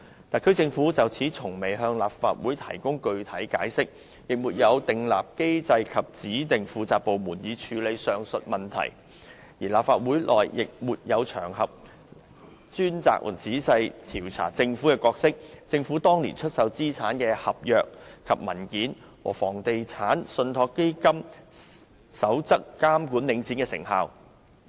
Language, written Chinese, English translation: Cantonese, 特區政府從未就此向立法會作出具體解釋，亦沒有設立機制及指定一個部門負責處理上述問題，而立法會內亦沒有場合供議員專責和仔細地調查政府的角色、政府當年出售資產的合約和文件，以及《房地產投資信託基金守則》監管領展的成效。, The SAR Government has so far offered no specific explanations on the matter to the Legislative Council nor has it established a mechanism and designated a department to address the issue . Moreover there are no occasions in the Legislative Council for Members to investigate in a dedicated and meticulous manner the role of the Government the government contracts and documents of the divestment at that time as well as the effectiveness of the Code on Real Estate Investment Trusts in the oversight of Link REIT